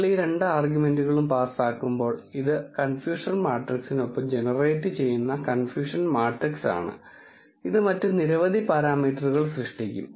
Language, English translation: Malayalam, When you pass these two arguments, this is the confusion matrix that is generated along with confusion matrix it will generate whole lot of other parameters